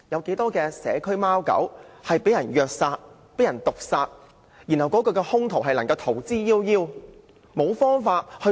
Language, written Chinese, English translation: Cantonese, 不少社區貓狗被人虐殺毒害後，兇徒卻能逃之夭夭，逍遙法外。, After some cats and dogs had been abused killed and poisoned the perpetrators could have absconded and escaped justice